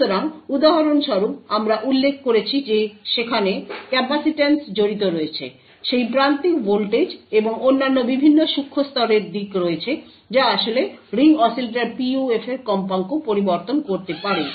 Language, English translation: Bengali, So for example, we mentioned that there is capacitance that is involved; there is that threshold voltage and various other nanoscale aspects that could actually change the frequency of the Ring Oscillator PUF